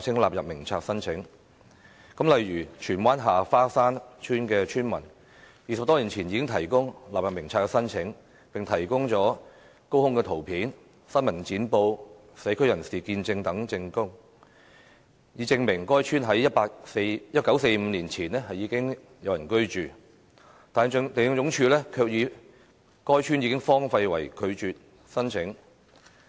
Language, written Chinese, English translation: Cantonese, 例如，荃灣下花山村村民20多年前已提出納入名冊申請，並提供了高空圖片、新聞剪報、社區人士見證等證據，以證明該村在1945年前已有人居住，但地政總署卻以"該村已荒廢"為由拒絕申請。, For instance villagers from Ha Fa Shan Village in Tsuen Wan filed an application for inclusion more than two decades ago and provided proof such as aerial photographs press cuttings and testimonies from members of the community proving that the village was inhabited before 1945 but LandsD rejected the application on the ground that the village had been deserted